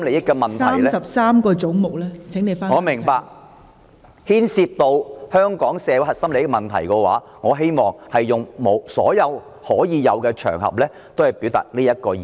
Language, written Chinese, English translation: Cantonese, 我明白，但如果牽涉到香港社會核心利益的問題，我希望利用所有的場合來表達這個意見。, I understand it but on matters related to Hong Kongs core interests I wish to make use of all occasions available to express this view